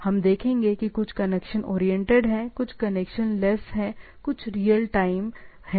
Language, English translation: Hindi, We will see that some are connection oriented, some are connectionless, some are real time protocol and so and so forth